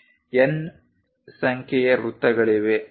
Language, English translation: Kannada, There are N number of circles